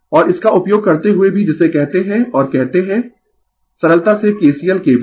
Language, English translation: Hindi, Andalso using this what we call and in say your simply kcl, kbl